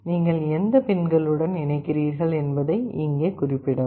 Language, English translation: Tamil, Here you specify which pins you are connecting to